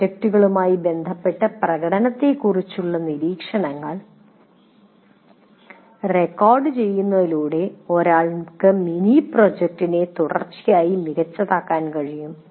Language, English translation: Malayalam, And by recording the observations on the performance with respect to mini projects, one will be able to continuously fine tune the mini project